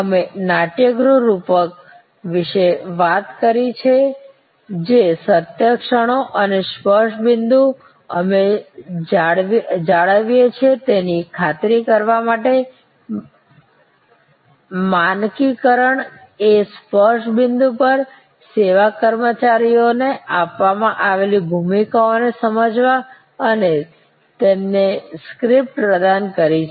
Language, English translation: Gujarati, We talked about the theater metaphor that to ensure at the moments of truth and the touch point we maintain, some ensure to some extent, standardization is by understanding the roles given to the service employees at those touch points and providing them with scripts